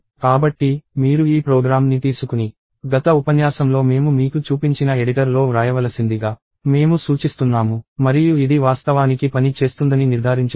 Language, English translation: Telugu, So, I suggest that you take this program and write it in the edited that I showed you in the last lecture and ensure that this actually works